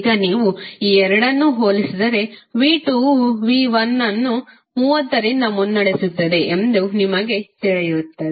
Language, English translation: Kannada, So now if you compare these two you will come to know that V2 is leading by 30 degree